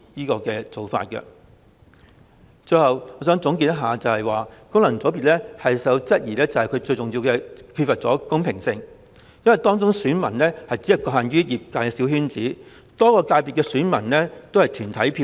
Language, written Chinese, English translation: Cantonese, 最後，我想總結，功能界別備受質疑，主要原因是缺乏公平性，因為其選民基礎只局限於業界小圈子，而且很多界別只有團體票。, Lastly to conclude the system FCs is widely questioned mainly because the system is unfair the electorate base is confined to a small circle of the sector and the fact that there are only corporate votes in many FCs